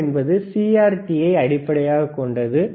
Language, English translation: Tamil, CRO is based on CRT